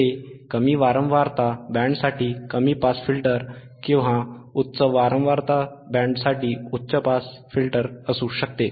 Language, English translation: Marathi, Iit can be low pass filter than for low frequency band, high pass filter for high frequency band